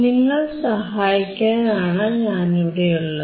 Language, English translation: Malayalam, I am there to help you out